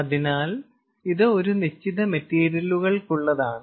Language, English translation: Malayalam, so this is for a given set of materials